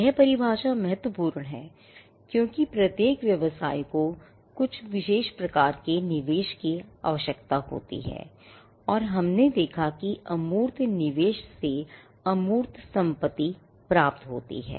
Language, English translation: Hindi, This definition is important because, every business also requires some form of investment and we saw that investment in intangible leads to intangible assets